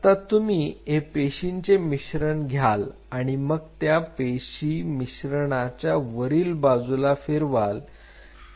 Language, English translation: Marathi, Now, what you do you take this mixture of cell and you roll the mixture of cell on top of it